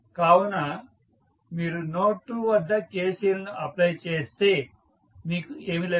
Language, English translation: Telugu, So, if you apply KCL at node 2 what you get